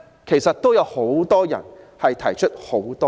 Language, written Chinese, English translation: Cantonese, 其實有不少人亦提出多項質疑。, In fact quite a few people also have many doubts about it